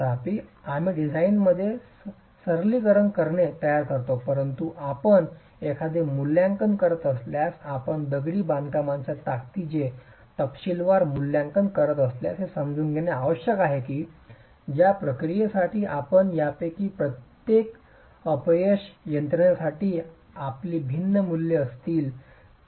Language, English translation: Marathi, However, we make simplifications in design, but if you are doing an assessment, if you are doing a detailed assessment of masonry strength, it is essential to understand that you are going to have different values for each of these actions and each of these failure mechanisms in the same masonry wall itself